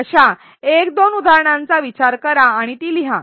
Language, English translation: Marathi, Think of one or two such examples and write it down